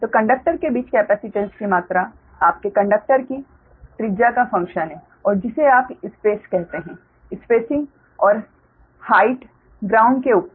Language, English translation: Hindi, so the amount of capacitance between conductor is a function of your conductor radius, right, is a function of conductor radius and your your, what you call that space spacing and height above the ground